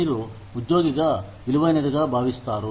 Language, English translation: Telugu, You feel, valued as an employee